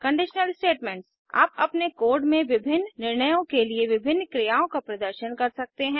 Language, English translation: Hindi, Conditional statements You may have to perform different actions for different decisions in your code